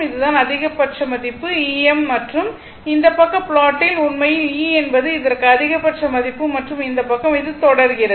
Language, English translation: Tamil, So, this is your maximum value this is your maximum value E m and this side plot is actually E is equal to this thing the maximum value and this side is your what you call this is, it is cycling